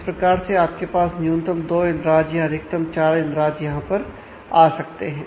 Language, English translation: Hindi, So, you have at least either at least two entries or maximum up to 4 entries that can go on here